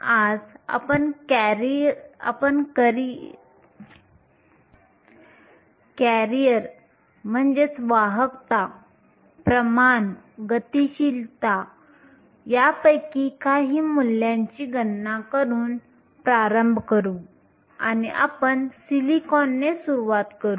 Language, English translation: Marathi, Today, we will start by calculating some of these values for the career, concentration, mobilities and conductivities and we will start with silicon